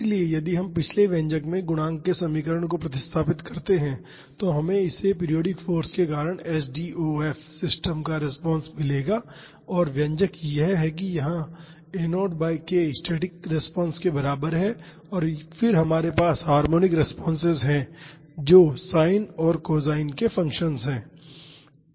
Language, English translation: Hindi, So, if we substitute the equations of the coefficients in the previous expression, we would get the response of the s t wave system due to a periodic force and the expression is this here a naught by k is equivalent to a static response and then we have harmonic responses that is sin and cosine functions